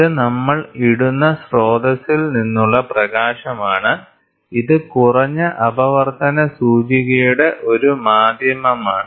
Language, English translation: Malayalam, So, this is light from source we will put, this is a medium of low refraction index refractive index